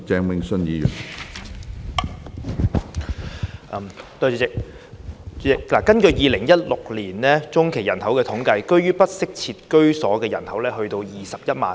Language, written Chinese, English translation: Cantonese, 主席，根據2016年中期人口統計，居於不適切居所的人數高達21萬。, President according to the 2016 Population By - census the number of people residing in inadequate housing was as high as 210 000